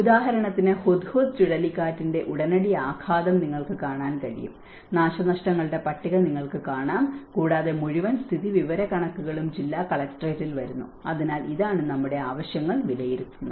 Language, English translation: Malayalam, Like for example, you can see in the immediate impact of the cyclone Hudhud, you can see the list of property damaged and the whole statistical information come to the district collectorate, so this is what our needs assessment is all about